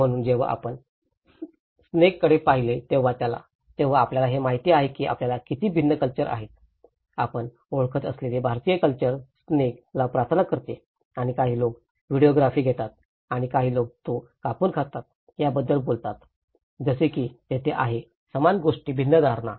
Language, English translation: Marathi, So, this is where when we look at the snake you know how different cultures, the Indian culture you know, pray to the snake and some people take a videography and some people talk about cutting it and eating it you know, like that there is different perceptions of the same thing